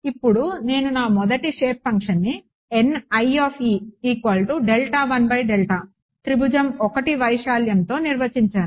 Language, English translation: Telugu, Now I define my first shape function as the area of triangle 1